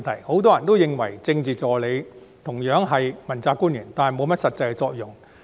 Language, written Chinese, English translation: Cantonese, 很多人認為政治助理同樣是問責官員，但沒有甚麼實際作用。, Many people consider that Political Assistants are also among accountability officials but of little practical use